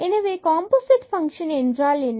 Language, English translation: Tamil, So, what are the composite functions